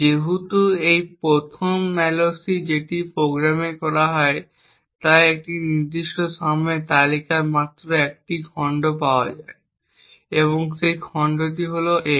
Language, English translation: Bengali, Since this is the first malloc that is done in the program therefore in this particular point in time the list has just one chunk that is available and that chunk is x